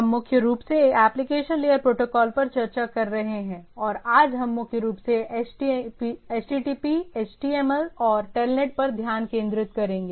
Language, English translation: Hindi, So, we are discussing primarily on Application Layer Protocols and which today we will be primarily focusing on HTTP, HTML and TELNET